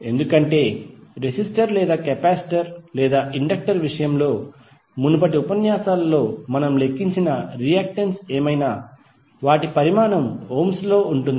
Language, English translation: Telugu, Because in case of resistor or capacitor or inductor, whatever the reactance is which we calculated in previous lectures